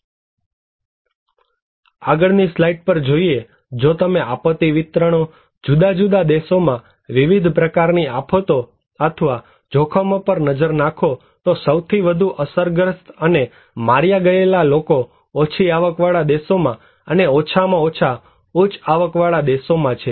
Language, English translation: Gujarati, Go to next slide; if you look into the disaster distributions, different kind of disasters or hazards in different countries, the most affected people and killed are in low income countries and the least the high income countries